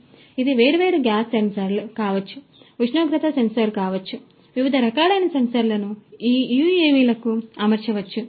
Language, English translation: Telugu, So, it could be different gas sensors, temperature sensor, you know different other types of sensors could be fitted to these UAVs